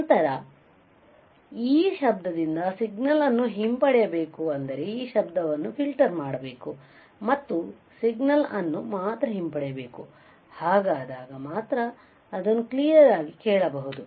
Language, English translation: Kannada, Then you have to retrieve this signal from the noise right that means, you have to filter out this noise and retrieve only the signal, so that you can hear it clearly all right